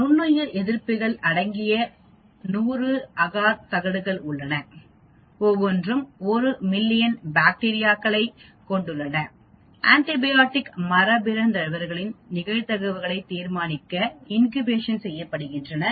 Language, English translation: Tamil, There are 100 agar plates containing antibiotics were streaked with 1 million bacteria each to determine the incidence of antibiotic mutants after incubation